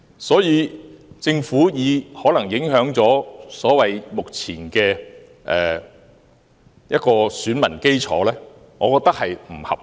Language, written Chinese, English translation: Cantonese, 所以，政府有關可能影響目前選民基礎的說法，我認為並不合理。, Thus I think the explanation of the Government that the proposal may affect the current electoral bases is unjustified